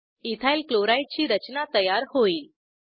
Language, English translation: Marathi, Structure of Ethyl chloride is drawn